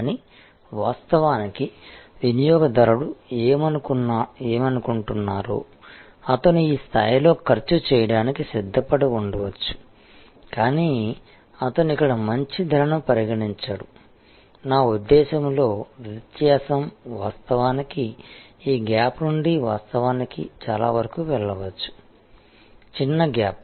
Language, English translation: Telugu, But, in reality, what the customer feels that, he might have been prepare to spend at this level, but he will not considering a good price here, I mean in his mind, the difference can actually go from this gap to actually a much smaller gap